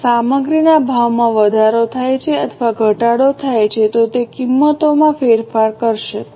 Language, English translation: Gujarati, If the material prices increase or decrease, it will lead to price variances